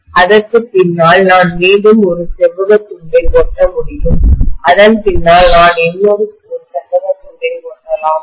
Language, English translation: Tamil, Behind that, I can again stick one more rectangular piece, behind that, I can stick one more rectangular piece, are you getting my point